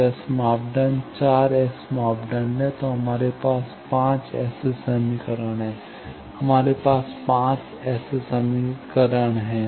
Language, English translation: Hindi, So, S parameters are 4 S parameters and we have 5 such equations, we have 5 such equations